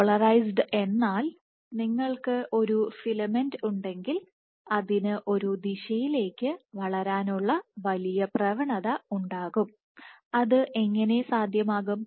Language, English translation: Malayalam, Polarized as in if you have a filament it will have a greater tendency to move in one direction, and how is it possible